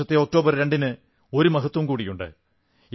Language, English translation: Malayalam, The 2nd of October, this year, has a special significance